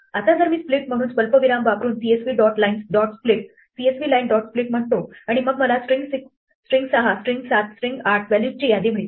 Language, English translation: Marathi, Now if I say CSV line dot split using comma as a separator and then I get a list of values the string 6, the string 7, the string 8